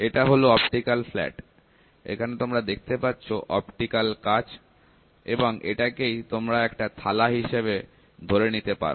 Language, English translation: Bengali, This is the optical flat, optical flat means you have an optical optical glass, assume it as a plate